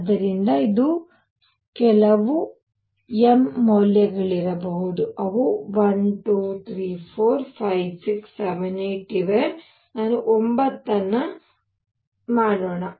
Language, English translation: Kannada, So, this could be some m value let us see how many are there 1, 2, 3, 4, 5, 6, 7, 8 let me make 9